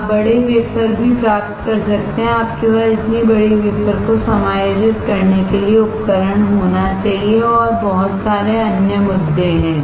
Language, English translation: Hindi, You can also get bigger wafer; You have to have the equipment to accommodate such a big wafer and there are lot of other issues